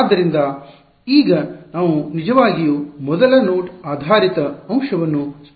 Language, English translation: Kannada, So, now let us actually explicitly construct the first node based element